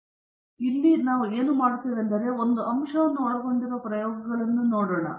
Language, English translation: Kannada, So, what we do here is we are looking at experiments involving only one factor